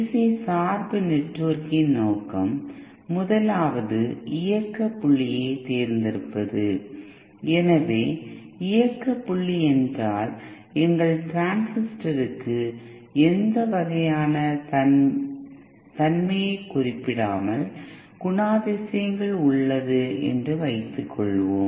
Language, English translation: Tamil, So the purpose of DC bias network is first of all its select the operating point, so operating point means if suppose our transistor has characteristics without specifying what kind of